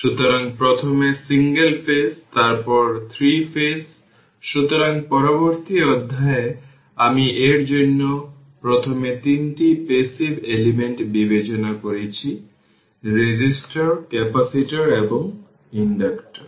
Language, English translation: Bengali, So, first ah some introduction I have made it for you that in the previous chapters we have considered 3 passive elements resistors capacitors and inductors individually